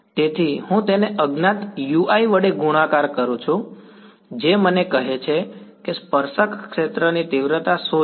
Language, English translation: Gujarati, So, I multiply that by a unknown ui which tells me what is the magnitude of the tangential field right